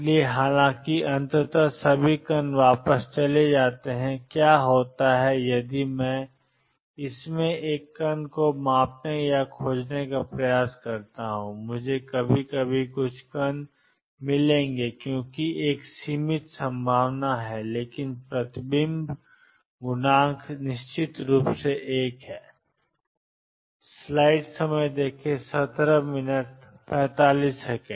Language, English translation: Hindi, So, although eventually all particles go back what happens is if I measure or try to locate a particle in this and I will find some particles sometimes because there is a finite probability, but the reflection coefficient is certainly one